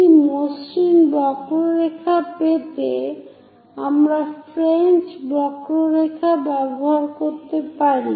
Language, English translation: Bengali, Now join this entirely by a continuous curve to get a smooth curve we can use French curves